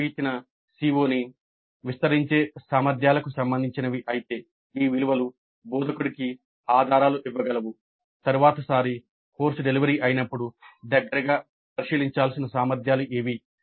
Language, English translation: Telugu, So if the questions are related to the competencies which expand a given CO then these values can also give clues to the instructor as to which are the competencies which expand a given CO, then these values can also give clues to the instructor as to which are the competencies which need probably a closer look when the course is being delivered the next time